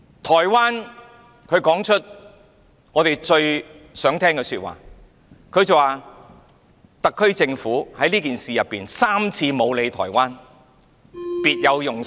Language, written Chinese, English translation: Cantonese, 台灣說出了我們最想聽的說話，它說特區政府在這件事情上3次沒有理會台灣，別有用心。, Taiwan has made remarks that we wish to hear badly . They said that the SAR Government had thrice given Taiwan a cold shoulder on this issue showing that it has an ulterior motive